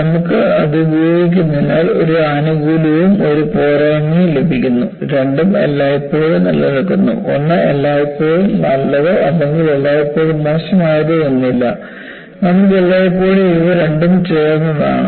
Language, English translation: Malayalam, So, you get one benefit, you get a disadvantage because of using that; duality always exist, there is nothing like one is always good or one is always bad; you always as a mixture of these two